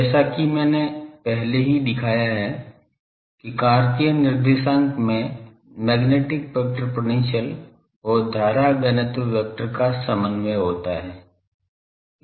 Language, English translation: Hindi, As I have already shown that in Cartesian coordinates the magnetic vector potential and the current density vector they are collinear